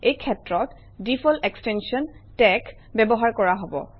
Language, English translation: Assamese, The default extension of tex will be used in this case